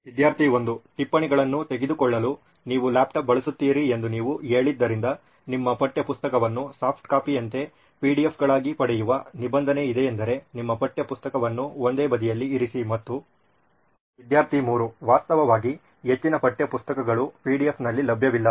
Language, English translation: Kannada, Now since you said you use laptop for taking notes, is there a provision where you get all your textbook as PDFs like a soft copy so that you have your textbook at the same side and… Actually most of the text books are not available in PDF